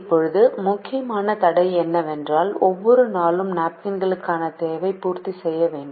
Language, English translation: Tamil, now the important constraint is that the demand for napkins on each day has to be met